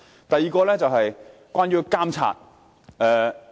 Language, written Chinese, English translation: Cantonese, 第二點是關於監察。, The second point is related to supervision